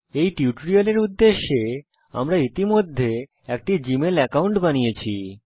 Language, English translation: Bengali, For the purpose of this tutorial, we have already created a g mail account